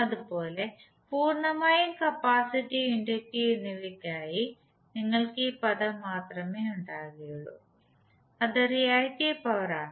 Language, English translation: Malayalam, Similarly for purely capacitive and inductive you will only have this term that is the reactive power